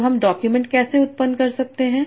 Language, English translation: Hindi, So how can I generate documents